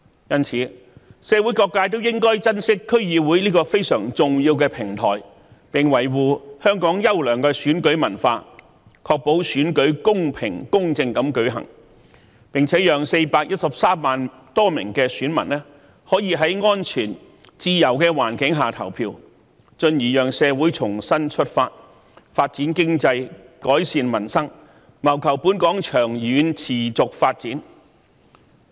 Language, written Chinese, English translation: Cantonese, 因此，社會各界應珍惜區議會這個非常重要的平台，並維護香港優良的選舉文化，確保選舉公平、公正地舉行，並且讓413萬多名選民可在安全、自由的環境下投票，進而讓社會重新出發，發展經濟，改善民生，謀求本港的長遠持續發展。, Hence people from all sectors of the community should cherish the important platform provided by DC safeguard the well - established election culture in Hong Kong ensure the holding of fair and just elections and enable over 4.13 million voters to cast their votes in a safe and free environment . This will in turn facilitate our society to make a new start strive for economic development improve peoples livelihood and work for the long - term sustainable development of Hong Kong